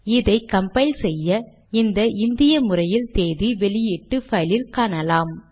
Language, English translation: Tamil, On compiling it, we see this Indian format appearing in the output file